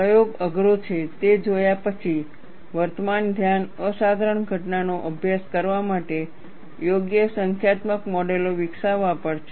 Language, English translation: Gujarati, Having seen that the experiment is difficult, the current focus is on developing appropriate numerical models to study the phenomena